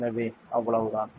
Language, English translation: Tamil, So, that is it Thank you